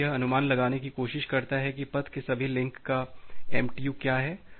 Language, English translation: Hindi, Is it tries to estimates that what is the MTU of all the links in the path